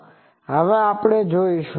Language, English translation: Gujarati, That we will now see